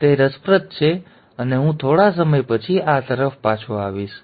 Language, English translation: Gujarati, Now that is interesting, and I will come back to this a little later